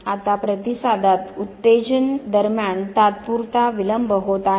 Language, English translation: Marathi, Now there is a temporal delay between the stimulus in the response